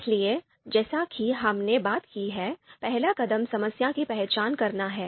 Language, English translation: Hindi, So, the first step as we talked about is identify the problem